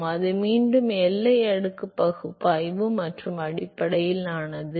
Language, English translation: Tamil, So, that is again based on the boundary layer analysis and